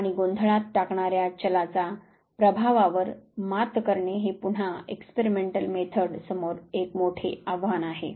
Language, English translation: Marathi, And passing out the effect of the confounding variable is again a major challenge in experimental research